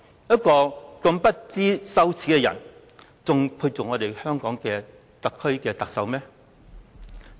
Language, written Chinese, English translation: Cantonese, 一個如此不知羞耻的人，還配擔任特區的特首嗎？, Is such a shameless person worthy of being the head of the SAR?